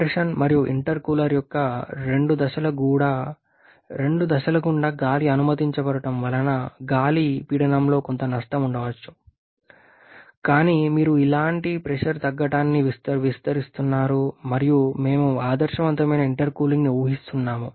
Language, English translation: Telugu, As the air is allowed to pass to the two stages of compression and also intercooler there, maybe some loss in a pressure of here, but you are neglecting any kind of pressure drop and we are using ideal intercooling